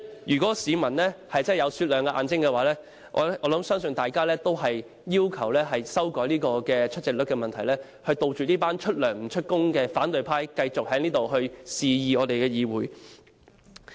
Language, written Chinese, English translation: Cantonese, 如果市民的眼睛是雪亮的，我相信大家也會要求修改出席率，杜絕這些出糧不出勤的反對派，繼續在議會裏肆意妄為。, If the eyes of the public are discerning I believe that they will also ask to revise the attendance rate in order to prevent the paid but absent opposition camp from acting on its own will in this Council